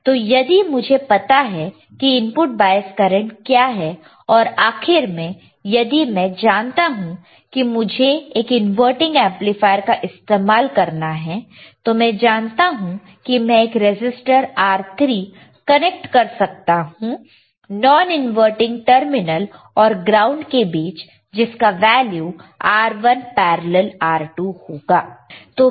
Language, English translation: Hindi, So, if I know what is input bias current and the end I know if that if I want to use an amplifier that is an inverting amplifier, then I know that there is a value of R2 feedback resistor input resistor R1, then I will have value of R3 which we can which I can connect between non inverting terminal and ground and that value of R3 would be equal to R1 parallel to R2